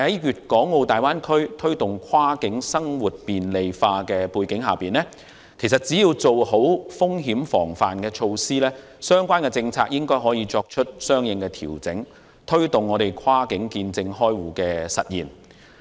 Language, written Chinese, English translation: Cantonese, 不過，在大灣區推動跨境生活便利化的背景下，只要做好風險防範措施，相關政策應可作出相應調整，推動跨境見證開戶的實現。, However against the background of facilitating cross - border business and living in the Greater Bay Area appropriate policy adjustments or measures should be introduced to facilitate the implementation of cross - border attestation service for account opening as long as risk prevention measures are taken